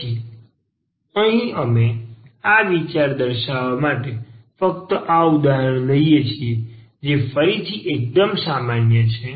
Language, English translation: Gujarati, So, here we take just this example to demonstrate this idea which is again quite general